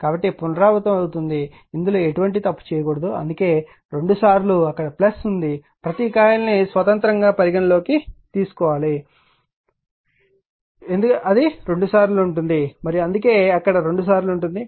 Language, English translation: Telugu, So, repetition will be there right this should not this one should not make any error for this that is why twice it is there you have plus it your coil considering each coil independently right and that that is why twice it is there